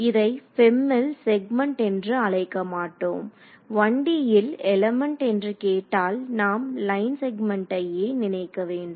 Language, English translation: Tamil, So, this in FEM we do not call it a segment we call it an element ok, but when you hear the word element in 1D you should just think of line segment